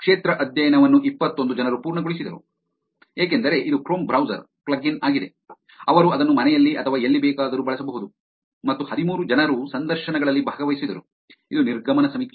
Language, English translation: Kannada, They got 21 participants who completed the field study, because it is the Chrome browser plug in, they could actually use it at home or wherever, and 13 people participated in the interviews, which is the exit survey